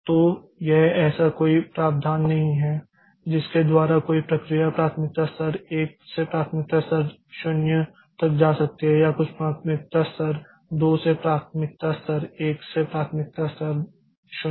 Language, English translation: Hindi, So, it is there is no provision by which a process can go from say priority level 1 to priority level 0 or some priority level 2 to priority level 1 to priority level 0